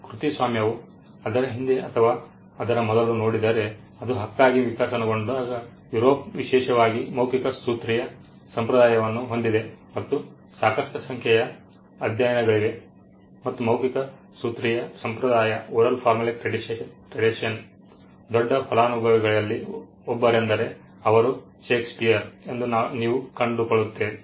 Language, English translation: Kannada, In the sense that copyright when it evolved as a right if you look behind it or before it you will find that Europe especially had an oral formulaic tradition and there are enough number of studies which some of it say that 1 of the biggest beneficiaries of the oral formulaic tradition was Shakespeare